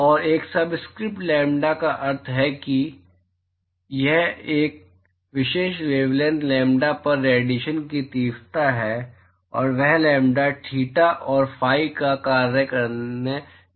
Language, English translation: Hindi, And a subscript lambda means that radiation intensity at a particular wavelength lambda and that is going to be function of lambda, theta and phi